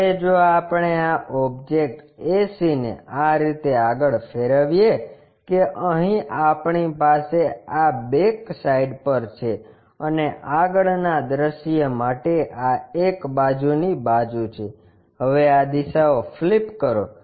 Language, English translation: Gujarati, Now, if we further rotate this object ac in such a way that, here we have this one at the back side and this one front side for the front view, now flip these directions